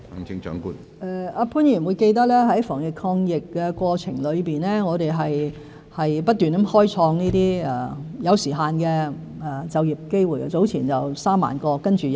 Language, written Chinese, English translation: Cantonese, 潘議員應記得在防疫抗疫的過程中，我們不停開創一些有時限的就業機會，早前有3萬個，然後再有3萬個。, Mr POON should remember that in the process of making anti - epidemic efforts we have kept on creating some time - limited job opportunities; with 30 000 created some time ago to be followed by another 30 000